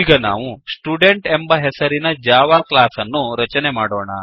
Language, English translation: Kannada, We will now create a Java class named Student